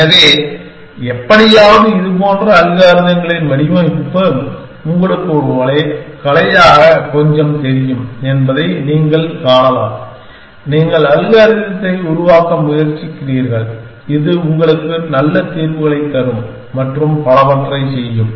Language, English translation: Tamil, So, again you can see that somehow this design of such algorithms is kind of you know little bit of an art, you are trying to device algorithm, which will work which will give you good solutions and so on